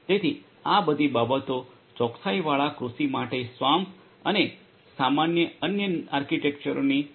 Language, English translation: Gujarati, So, all of these things can be done with the help of SWAMP and similar other architectures for precision agriculture